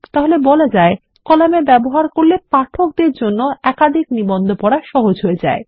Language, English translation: Bengali, So you see columns make it easier for the reader to go through multiple articles